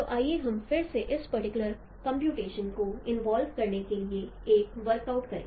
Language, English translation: Hindi, So let us again work out an exercise for involving this particular computation